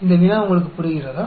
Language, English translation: Tamil, Do you understand this problem